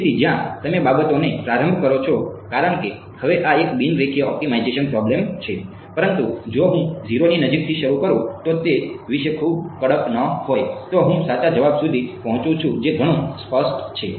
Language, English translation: Gujarati, So, where you initialize matters because now this is a non linear optimization problem, but if I started anywhere close to 0 not being very strict about it, I reach the correct answer that much is clear